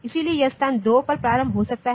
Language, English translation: Hindi, So, it can start at location 2